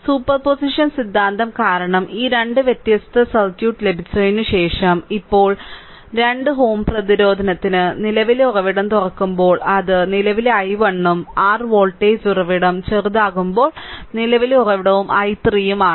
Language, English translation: Malayalam, So, after breaking after getting this 2 different circuit because of superposition theorem, so now, in this case for 2 ohm resistance, when current source is open it is current i 1 and when your voltage source is shorted, but current source is there i 3